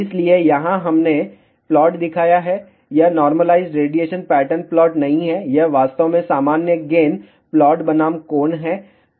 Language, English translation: Hindi, So, here we have shown the plot, it is not a normalized radiation pattern plot, it is actually normal gain plot versus angle